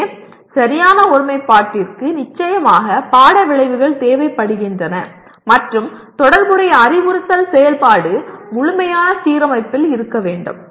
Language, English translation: Tamil, So proper alignment requires course outcomes and related instructional activity should be in complete alignment